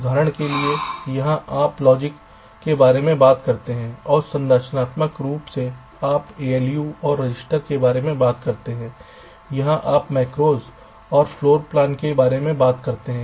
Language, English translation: Hindi, for example, here you talk about logic, here and in structurally you talk about a loose and registers and here you talk about macros and floor plans